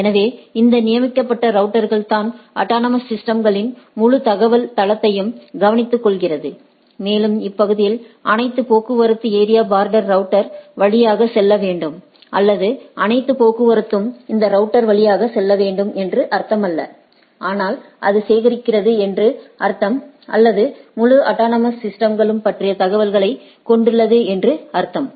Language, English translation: Tamil, So, it is those designated routers, which takes care of the whole information base of the autonomous systems and it does not mean that that all this all traffic of the area should go through the area border router or all traffic should go through that router, but, but it what it means that it collects or it has the information about the whole autonomous systems